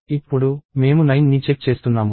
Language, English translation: Telugu, Then… Now, we are checking 9